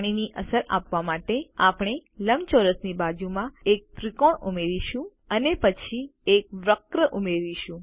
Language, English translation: Gujarati, To give the effect of water, we shall add a triangle next to the rectangle and then add a curve